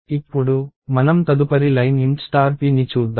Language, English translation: Telugu, Now, let us look at the next line int star p